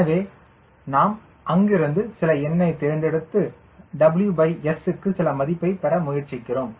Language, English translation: Tamil, so we fix up number from there and try to get some value for w by s